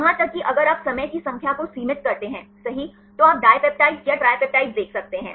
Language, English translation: Hindi, Even if you restrict the number of times right you can see the dipeptides or tripeptides